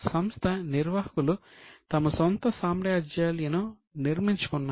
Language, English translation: Telugu, So, managers had built up their own empires